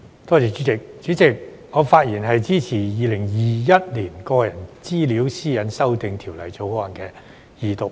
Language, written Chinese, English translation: Cantonese, 主席，我發言支持《2021年個人資料條例草案》二讀。, President I am speaking in support of the Personal Data Privacy Amendment Bill 2021 the Bill